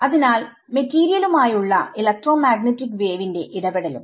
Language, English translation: Malayalam, So, the interaction of an electromagnetic wave with the material is also